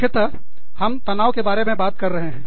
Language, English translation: Hindi, We are talking about, stress, emphasis